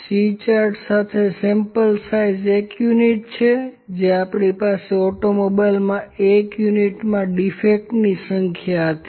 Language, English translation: Gujarati, With a C chart, the sample size is one unit that is we had the number of defects in an automobile in a in one unit